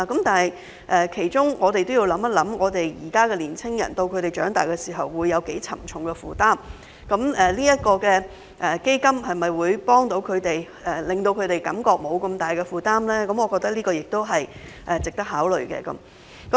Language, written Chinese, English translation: Cantonese, 但是，我們要考慮的是，現在的年青人在長大時的負擔會有多沉重，該基金可否幫助他們，讓他們減輕負擔，我覺得這些都是值得考慮的。, However what we must consider is how heavy the burden of young people will be when they grow up and whether the Fund can help them lessen their burden . I think that all these are worthy of consideration